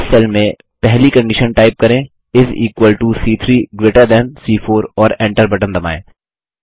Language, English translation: Hindi, In this cell, type the first condition as is equal to C3 greater than C4 and press the Enter key